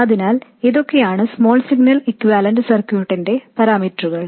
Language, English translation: Malayalam, So these are the parameters of the small signal equivalent circuit